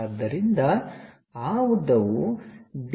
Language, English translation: Kannada, So, that length is D